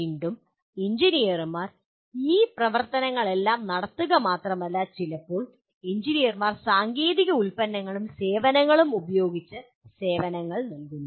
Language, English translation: Malayalam, And again engineers not only perform all these activities, sometimes engineers provide services using technological products and services